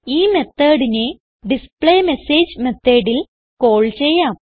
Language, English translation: Malayalam, Let us call this method in the displayMessage method